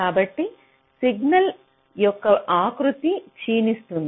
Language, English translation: Telugu, ok, the nature of the signal gets deformed